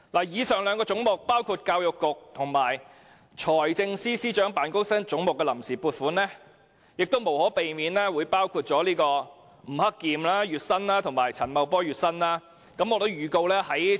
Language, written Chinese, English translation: Cantonese, 以上兩個涉及教育局和財政司司長辦公室總目的臨時撥款，無可避免包含吳克儉和陳茂波的月薪。, The funds on account under the two heads relating to the Education Bureau and the Office of the Financial Secretary will inevitably include the monthly emoluments of Mr Eddie NG and Mr Paul CHAN